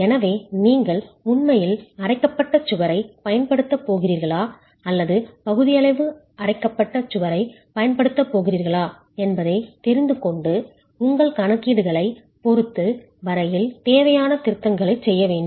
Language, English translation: Tamil, So you really need to know if you're going to be using a fully grouted wall or a partially grouted wall and make necessary mns as far as your calculations are concerned